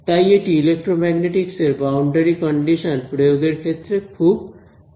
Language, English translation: Bengali, So, this is again very useful for imposing boundary conditions in electromagnetics